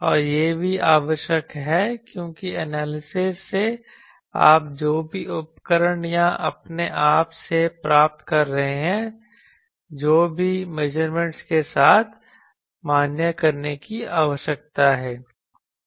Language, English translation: Hindi, And also it is required because by analysis what you are getting may be by the tool or by yourself whatever that needs to be validated with the measurements